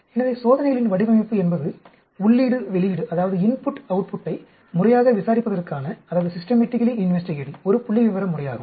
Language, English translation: Tamil, So, design of experiments is a statistical methodology for systematically investigating input output